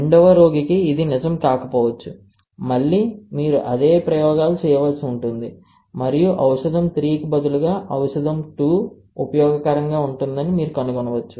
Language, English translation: Telugu, For a second patient, it may not be true, again you have to do the same experiments and you may find that instead of drug 3, drug 2 may be useful